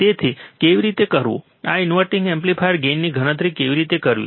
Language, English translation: Gujarati, So, how to perform or how to calculate the gain of an inverting amplifier